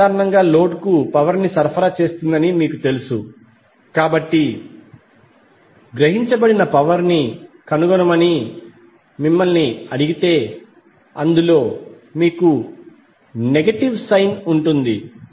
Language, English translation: Telugu, Now since you know that source generally supply power to the load so if you are asked to find out the power absorbed that means that you will have negative sign in that